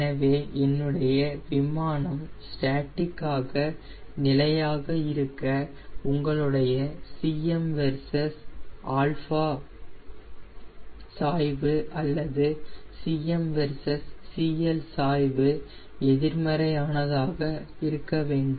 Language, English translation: Tamil, so you know that in order for an aircraft to be statically stable, your slope of cm versus alpha or slope of cm versus cl should be negative as well as cm naught should be a positive number